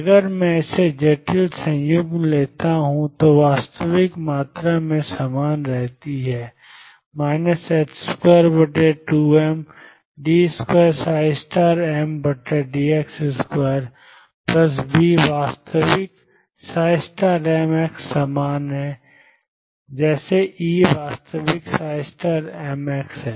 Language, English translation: Hindi, If I take it is complex conjugate all the real quantities remain the same psi square over 2 m d 2 psi m star over d x square plus v is real psi m x star same as e is real psi m star x